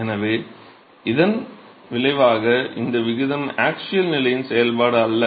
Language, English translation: Tamil, So, as a result this ratio is not a function of the axial position